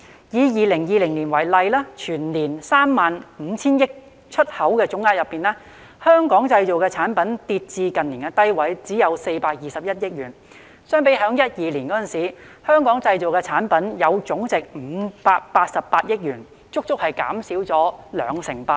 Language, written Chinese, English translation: Cantonese, 以2020年為例，全年 35,000 億元的出口總額當中，"香港製造"產品總值跌至近年低位，只有421億元，相比2012年，"香港製造"產品總值達588億元，足足減少了兩成八。, In 2020 for example out of the total exports standing at 3,500 billion the total value of Made in Hong Kong products fell to a low in recent years only 42.1 billion . Compared to the total value of Made in Hong Kong products in 2012 which reached 58.8 billion there was a reduction of 28 %